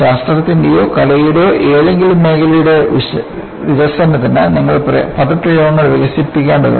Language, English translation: Malayalam, See, for the development of any field of Science or Art, you would need to develop jargons